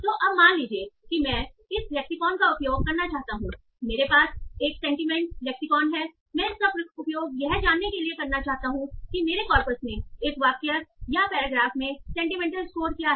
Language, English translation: Hindi, So, so now suppose I want to use this lexicon, I have a sentiment lexicon, I want to find use that to find out what is the sentiment score of a sentence or a paragraph in my corpus